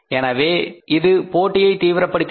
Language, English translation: Tamil, So it intensified the competition